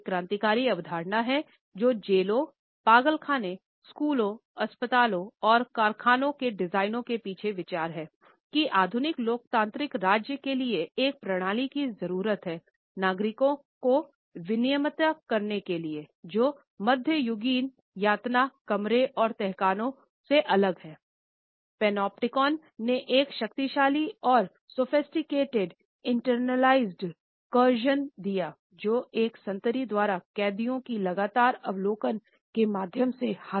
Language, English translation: Hindi, As a revolutionary concept for the design of prisons, insane asylum, schools, hospitals and factories and the idea behind it, that the modern democratic state needed a system to regulate it citizens which was different from medieval torture rooms and dungeons